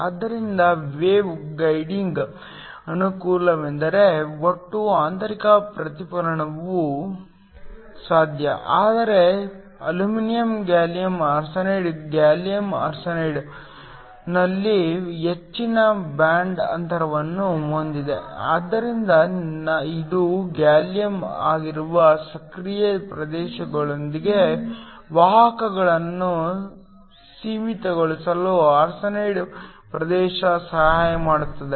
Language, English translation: Kannada, So, the advantage of that in the case of wave guiding was that total internal reflection is also possible, but aluminum gallium arsenide also has a higher band gap in gallium arsenide, so this helps to confine the carriers within the active region which is the gallium arsenide region